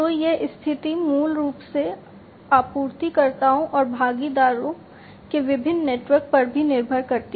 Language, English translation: Hindi, So, this position basically also depends on the different networks of suppliers and the partners